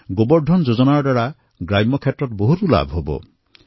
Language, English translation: Assamese, Under the aegis of 'GobarDhanYojana', many benefits will accrue to rural areas